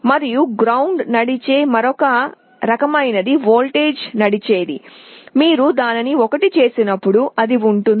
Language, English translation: Telugu, And there is another kind which is not ground driven it is voltage driven, when you make it 1 it will be on